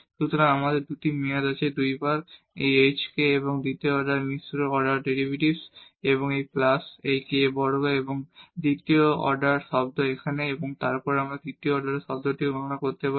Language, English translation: Bengali, So, we have the two term 2 times this h k and the second order mixed order derivative and plus this k square and the second order term here, and then we can compute the third order term as well